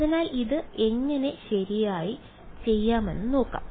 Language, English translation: Malayalam, So, let us see how to do this correctly alright